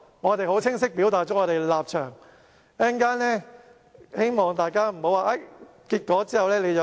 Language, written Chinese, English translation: Cantonese, 我們很清晰表達了我們的立場，希望大家不要曲解稍後的結果。, We have expressed our stance clearly and hopefully Members will not misinterpret the subsequent results